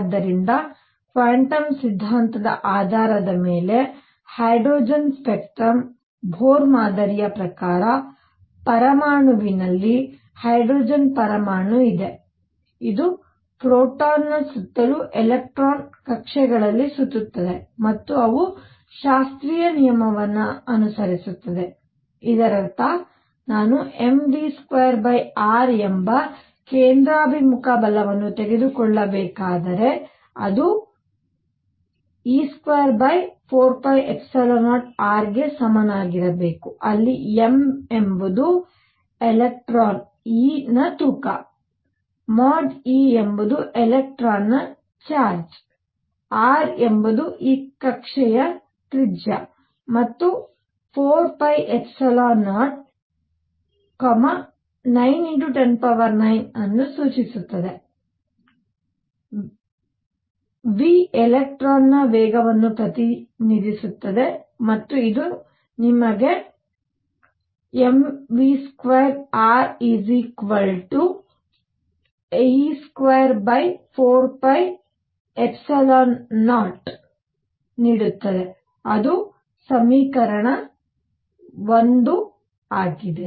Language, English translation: Kannada, So, Bohr model of hydrogen spectrum based on quantum theory; what he said is that in an atom, there is a hydrogen atom, this is a proton around which an electron is going around in orbits and they follow classical law; that means, if I were to take the centripetal force m v square over r, it should be equal to 1 over 4 pi epsilon 0 e square over r where m is the mass of electron e; mod e is charge of electron, r is the radius of this orbit and 4 pi epsilon 0 represents that constant 9 times 10 raise to 9, v, the speed of electron and this gives you m v square r equals e square over 4 pi epsilon 0 that is equation 1